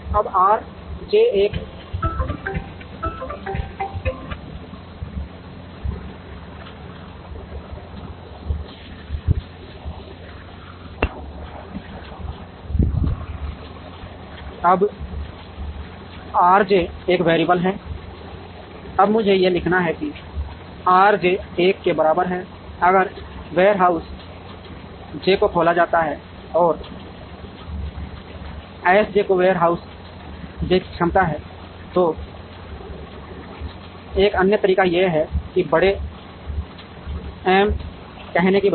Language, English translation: Hindi, Now, R j is a variable, now let me write it R j equal to 1, if warehouse j is opened and let S j be the capacity of warehouse j, so one other way is to say that instead of saying big m